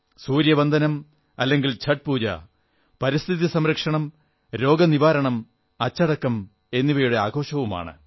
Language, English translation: Malayalam, Sun worship or Chhath Pooja is a festival of protecting the environment, ushering in wellness and discipline